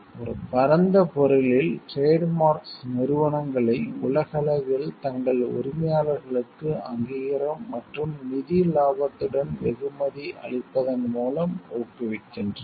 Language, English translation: Tamil, In a broader sense, trademarks promote enterprises globally by rewarding their owners with recognition and financial profits